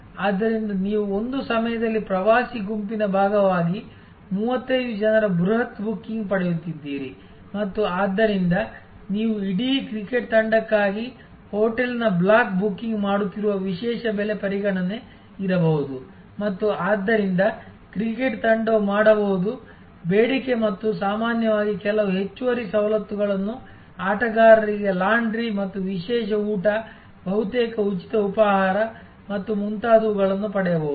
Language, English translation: Kannada, So, you are getting at one time bulk booking of 35 people as part of a touring group and therefore, there can be special price consideration you are making a block booking of a hotel for a whole cricket team and therefore, the cricket team will can demand and will normally get certain additional privileges like may be laundry for the players and a special meal almost free breakfast and so on and so forth